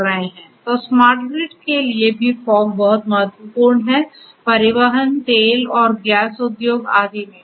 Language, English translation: Hindi, So, like that for smart grid also fog is very important transportation, oil and gas industry and so on